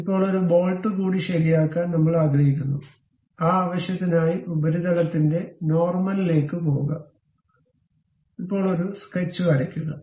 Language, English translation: Malayalam, Now, on that we would like to have a one more bolt to be fixed; for that purpose go to normal, now draw a sketch